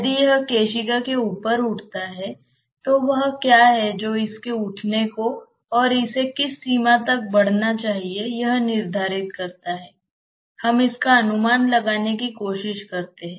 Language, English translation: Hindi, If it rises over the capillary then what dictates its rising and to what extent it should rise, let us try to make an estimate of that